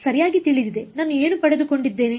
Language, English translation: Kannada, Known right so, what have I got